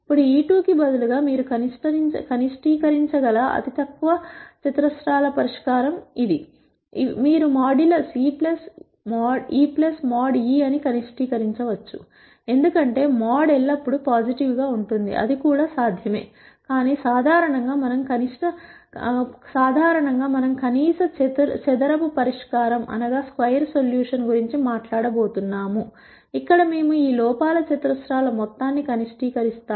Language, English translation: Telugu, Now, this is the least squares solution you could also minimize instead of e I squared, you can minimize modulus e 1 plus mod e 2 plus mod e 3, because mod is always positive; that is also possible, but in general we are going to talk about least square solution where we minimize this sum of squares of errors